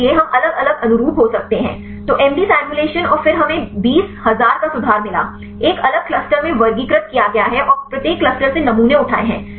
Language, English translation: Hindi, So, we may different conformations; so did MD simulations and then we get 20000 conformation; classified in a different clusters and picked up the samples from each cluster